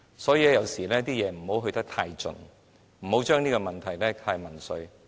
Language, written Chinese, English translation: Cantonese, 所以，凡事不要做得太盡，不要將問題民粹化。, Therefore we cannot take it too far on anything and we should not turn this into a question of populism